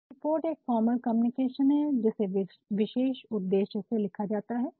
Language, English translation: Hindi, So, a report is a formal communication written for a specific purpose